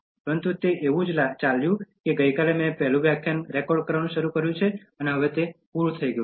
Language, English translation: Gujarati, But it just went like as if I just started recording the first lecture yesterday and then it’s just completing now